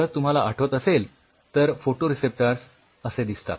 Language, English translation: Marathi, So, if you remember the structure of the photoreceptors looks like this